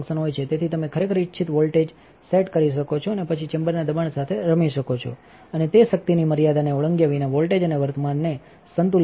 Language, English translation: Gujarati, So, you can actually set a desired wattage and then play with the chamber pressure and it will balance the voltage and current without exceeding that power limit